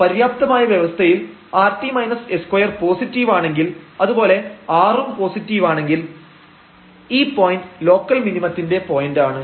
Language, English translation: Malayalam, And remember in the sufficient conditions we have seen that if rt minus s square is positive, when r is positive then this is a point of local minimum